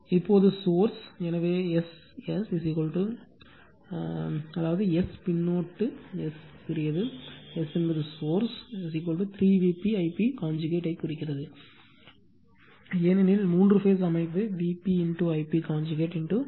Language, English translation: Tamil, Now, at the source, so S s is equal to that is S suffix s small s stands for source is equal to 3 V p I p conjugate, because three phase system V p I p conjugate into 3